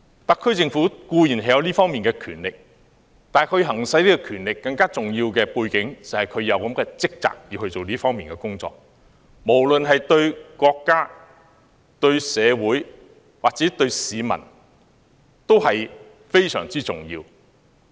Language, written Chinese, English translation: Cantonese, 特區政府固然有這方面的權力，但在行使這項權力的同時，也背負着這方面的職責，這對國家、對社會、對市民都非常重要。, The Government of course has its power and when it exercises that power it comes with a responsibility that is crucial to our country to society and to the people